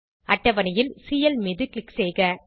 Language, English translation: Tamil, Click on Cl from the table